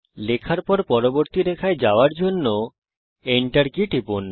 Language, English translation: Bengali, Press the Enter key to go to the next line while typing